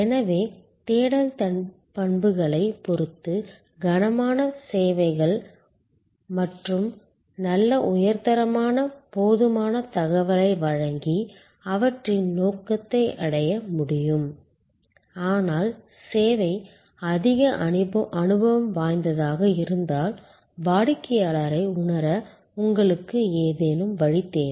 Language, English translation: Tamil, So, those services which are heavy with respect to search attributes can provide good high quality, enough information and achieve their objective, but if the service is experience heavy, then you need some way the customer to get a feel